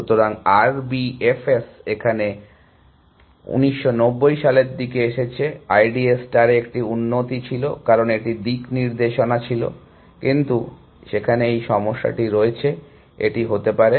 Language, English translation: Bengali, So, R B F S is came around 1990 also was an improvement on I D A star, because it had a sense of direction, but it has this problem there, it could do ((Refer Time